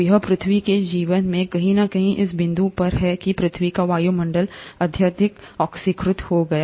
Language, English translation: Hindi, So it is at this point somewhere in earth’s life that the earth’s atmosphere became highly oxidate